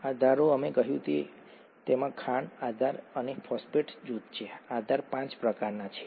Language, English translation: Gujarati, The bases, right, we said that it contains a sugar, the base and the phosphate group, the bases are of five kinds